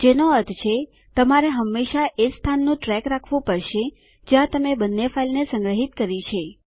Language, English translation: Gujarati, Which means, you will always have to keep track of the location where you are storing both the files